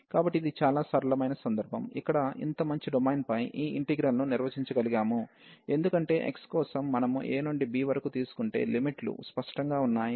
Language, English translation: Telugu, So, this is the simplest case, where we can define this integral over the such a nice domain, because the limits are clear that for x, we are wearing from a to b